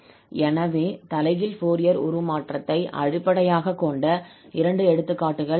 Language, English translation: Tamil, In this example, we will find, so there are two examples based on the inverse Fourier transform but they are simple